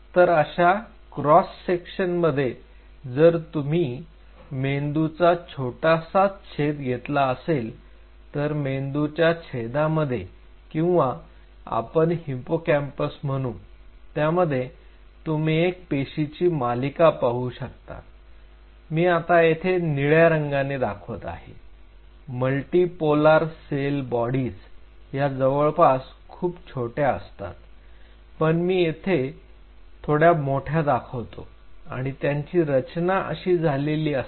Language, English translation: Marathi, So, in between in a cross section if you ever take a brain slice cut the brain slice or take the hippocampus you will see a series of cells which I am now showing in blue they will be sitting like this a multi polar cell bodies very small this is I am kind of drawing it very big multi polar cell bodies and they will be arrange like this